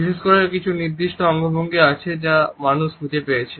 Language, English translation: Bengali, Particularly, there are certain gestures which people have found